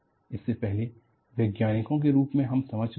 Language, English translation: Hindi, Even before, as scientists, we have understood